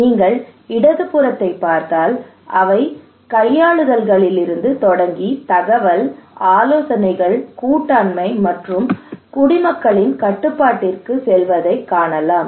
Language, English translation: Tamil, If you look into the left hand side you can see there is starting from manipulations then informations, consultations, partnership, and citizen control